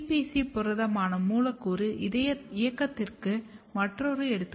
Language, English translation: Tamil, This is one another example of molecular movement which is CPC protein